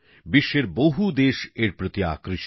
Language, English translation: Bengali, Many countries of the world are drawn towards it